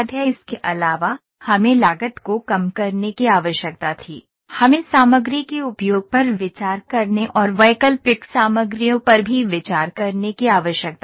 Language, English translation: Hindi, Also we needed to reduce the cost, we needed to consider the material usage and consider alternative materials as well